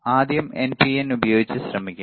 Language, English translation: Malayalam, So, let us try with NPN first one